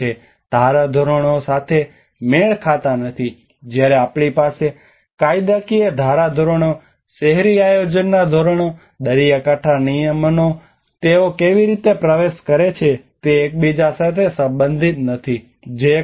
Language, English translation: Gujarati, Mismatches regarding the norms: when we have the legislative norms, urban planning norms, coastal regulations how they enter do not relate to each other that is one aspect